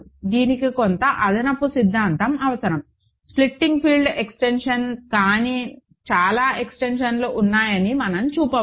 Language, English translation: Telugu, And this requires some additional theory, but we can show that there are lots of extensions which are not splitting field extensions